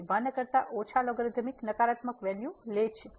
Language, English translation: Gujarati, So, less than 1 the logarithmic take the negative value